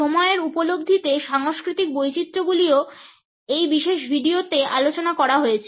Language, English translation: Bengali, The cultural variations in the perception of time are also discussed in this particular video